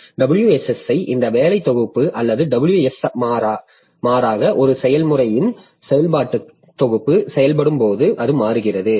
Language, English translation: Tamil, So, WSSI, this working set or WS rather, the working set of a process it changes as the process is executing